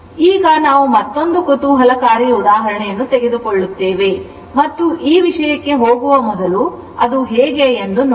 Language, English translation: Kannada, Now, next we will take another interesting example and before going to this thing, we have taken this kind of example